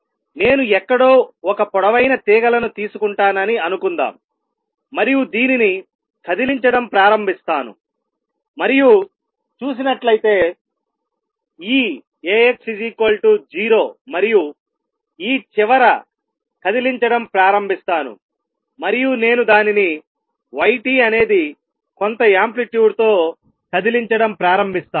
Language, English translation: Telugu, So, this is 2 ways of looking at the wave; suppose I take a long strings tide somewhere and start shaking this and let see this is A x equal to 0 and start shaking this end and I start moving it with y t equals some amplitude let us say sin omega t